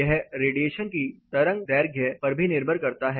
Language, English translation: Hindi, It depends on the wave length of the radiation as well